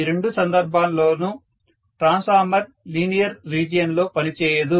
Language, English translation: Telugu, So, in both the cases you may find that the transformer is not working in the linear region, got it